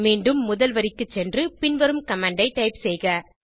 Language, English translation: Tamil, Go back to the first line and type the following command